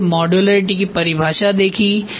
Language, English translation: Hindi, Then defining modularity